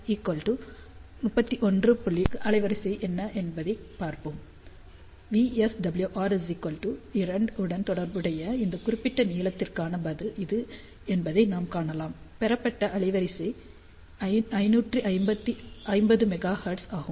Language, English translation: Tamil, 4, we can see this is the response for this particular length corresponding to VSWR equal to 2 line bandwidth obtained is 550 megahertz